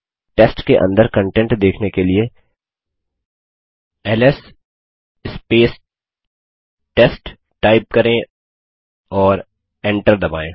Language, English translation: Hindi, To see the contents inside test type ls test and press enter